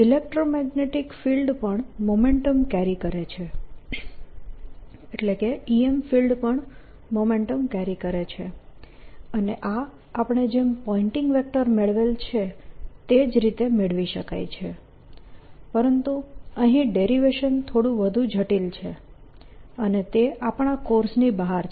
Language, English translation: Gujarati, introduce now, electromagnetic field also carries momentum, e, m filed also carries momentum, and this can also be derived exactly in the same manner as we derived the pointing vector, except that the derivation is a little more complicated and slightly beyond the level of this course